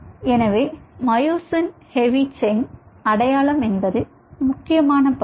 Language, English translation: Tamil, so myosin heavy chain identification: what kind of myosin heavy chain is being formed